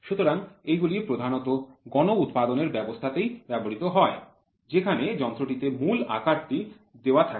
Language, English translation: Bengali, So, this system is generally preferred in mass production where the machine is set to the basic size